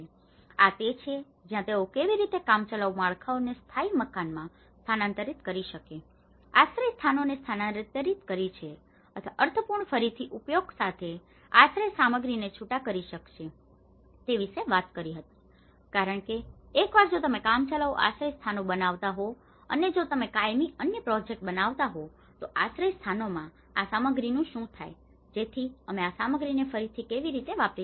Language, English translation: Gujarati, And this is where they talked about how we can incrementally upgrade the temporary structures to the permanent houses, relocation of shelters or disassembly of shelter materials with meaningful reuse so because once if you are making a temporary shelters and if you are making another project of permanent shelters, what happens to this material, so how we can reuse this material